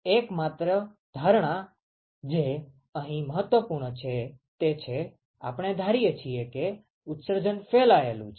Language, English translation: Gujarati, The only assumption, which is important here is that; we assume that the emission is diffuse